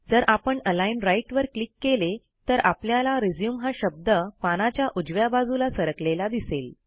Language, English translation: Marathi, If we click on Align Right, you will see that the word RESUME is now aligned to the right of the page